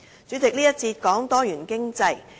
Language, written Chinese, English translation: Cantonese, 主席，這個環節是關於多元經濟。, President this session is on diversified economy